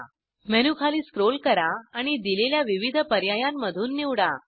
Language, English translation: Marathi, Scroll down the menu and choose from the various options provided